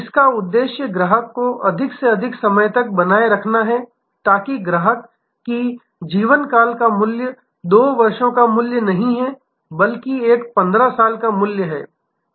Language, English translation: Hindi, The whole purpose is to have a customer for a longer as long as possible, so that this customer lifetime value is not a 2 year value, but is a 15 year value